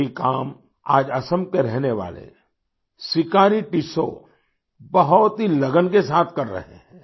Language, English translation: Hindi, Today, Sikari Tissau, who lives in Assam, is doing this very diligently